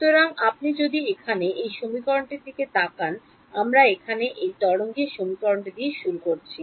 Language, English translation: Bengali, So, if you look at this equation over here we started with this wave equation over here